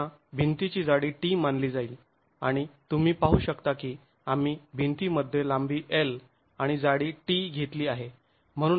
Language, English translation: Marathi, Again, the thickness of the wall is considered as T and as you can see we have taken length L and thickness T in the wall